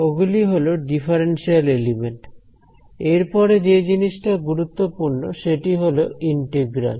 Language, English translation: Bengali, So, those are differential elements the next thing important component is the integrals